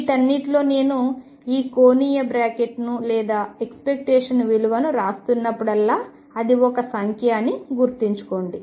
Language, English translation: Telugu, In all this keep in mind that whenever I am writing this angular bracket or the expectation value that is a number right